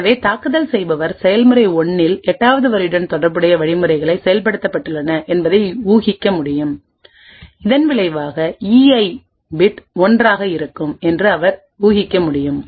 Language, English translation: Tamil, Thus the attacker would be able to infer that the instructions corresponding to line 8 in the process 1 has executed, and as a result he could infer that the E Ith bit happens to be 1